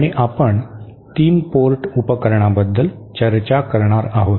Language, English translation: Marathi, And we shall be discussing about 3 port devices